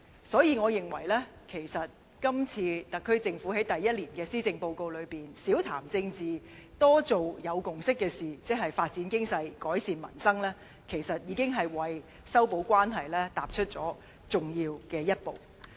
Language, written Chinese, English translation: Cantonese, 所以，我認為今次特區政府在第一年施政報告中少談政治、多做有共識的事情，即發展經濟、改善民生，其實已是為修補關係踏出重要一步。, Therefore I consider that the SAR Government has indeed taken the first step to mend the relationships by avoiding politics in the first Policy Address and focusing on agreed issues like development the economy and improving livelihood